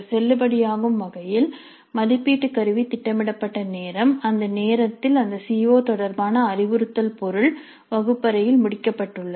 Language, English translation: Tamil, By valid what we mean is that the time at which the assessment instrument is scheduled by the time the instructional material related to the COO has been completed in the classroom